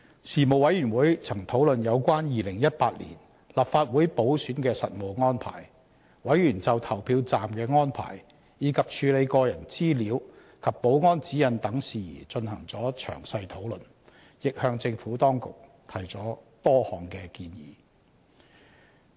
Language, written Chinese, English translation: Cantonese, 事務委員會曾討論有關2018年立法會補選的實務安排，委員就投票站的安排，以及處理個人資料及保安指引等事宜進行了詳細討論，亦向政府當局提出了多項的建議。, The Panel had discussed the practical arrangements for the 2018 Legislative Council By - election . Members discussed in detail the arrangements at polling stations and matters concerning the internal physical and technical security guidelines governing the handling of personal data . Moreover they also made various recommendations to the Administration